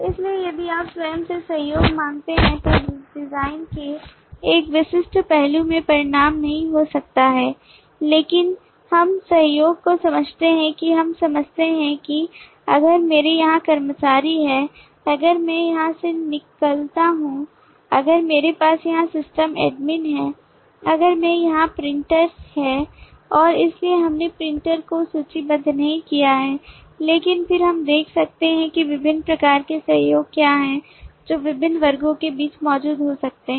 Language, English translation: Hindi, so collaboration if you ask collaboration by itself may not result into a specific aspect of the design, but if we understand the collaboration then we understand that if i have employees here, if i have leave here, if i have system admin here, if i have printer here and so on we have not listed the printer, but then we can see what are the different types of collaborations that may exist between these different classes